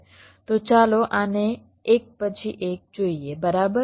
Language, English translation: Gujarati, so let us see this one by one, right, ok